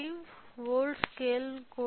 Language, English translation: Telugu, So, even 5 volts scale